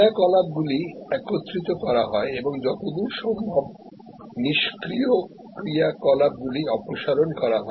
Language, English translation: Bengali, So, activities are merged and as far as possible, idle activities are removed